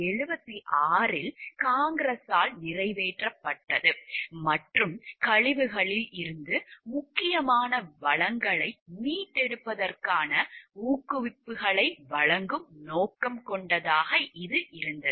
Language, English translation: Tamil, RCRA had been passed by congress in 1976 and was intended to provide incentives for the recovery of important resources from wastes